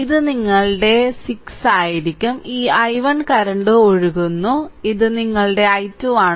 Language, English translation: Malayalam, So, it will be your 6 this i 1 is current flowing there and this is your i2